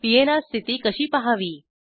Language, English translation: Marathi, How to check the PNR status